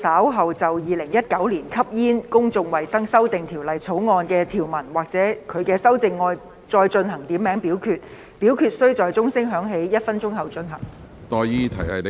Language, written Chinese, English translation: Cantonese, 主席，我動議若稍後就《2019年吸煙條例草案》的條文或其修正案進行點名表決，表決須在鐘聲響起1分鐘後進行。, Chairman I move that in the event of further divisions being claimed in respect of any provisions of or any amendments to the Smoking Amendment Bill 2019 this committee of the whole Council do proceed to each of such divisions immediately after the division bell has been rung for one minute